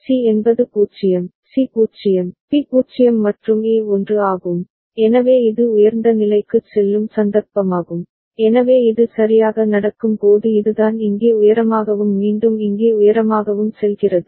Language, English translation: Tamil, C is 0, C is 0, B is 0 and A is 1, so that is the occasion when it will go high, so that is the case when this is happening right this is going high here and again going high here